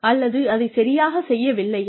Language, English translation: Tamil, Are they not doing it right